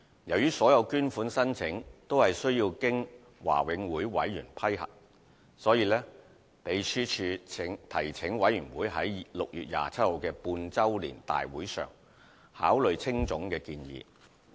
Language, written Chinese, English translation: Cantonese, 由於所有捐款申請均須經華永會委員批核，因此秘書處提請委員會於6月27日的半周年大會上考慮青總的建議。, As all donation applications are subject to approval by the Board the secretariat put up HKACAs proposal at the half - yearly general meeting held on 27 June for members consideration